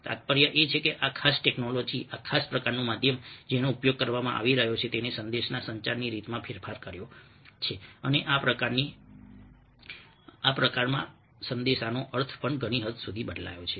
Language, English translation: Gujarati, the implication is that this particular technology, this particular kind of medium which is being used has modified the way that the message is [communiticated/communicated] communicated and, in the process, the meaning of the message to a very great extent as well